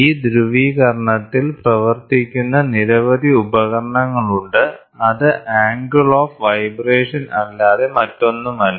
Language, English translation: Malayalam, There are lot of instruments which work on this polarization which is nothing but the angle of vibration